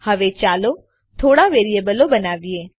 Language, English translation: Gujarati, Now let us create a few variables